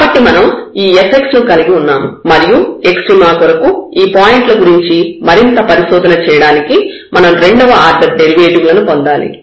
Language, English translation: Telugu, So, we have this f x and we need to get the second order derivative to further investigate these points for the extrema